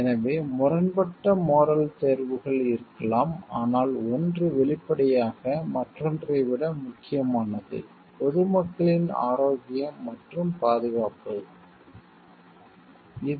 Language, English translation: Tamil, So, like there could be conflicting moral choices, but one is; obviously, more significant than the other, like protecting the health and safety of the public is more important than our duty to the employer